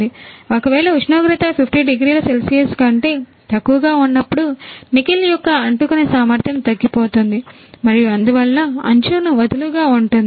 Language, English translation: Telugu, In case when the temperature is lower than 50 degrees Celsius then adhesive capacity of the nickel lowers and hence loosely sticks to the rim